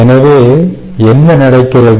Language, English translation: Tamil, ok, so what happens